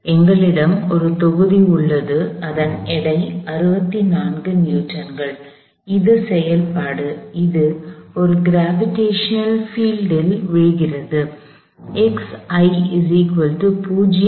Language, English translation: Tamil, We have a block, whose weight is 64 Newton’s; that is acting; that is following in a gravitational field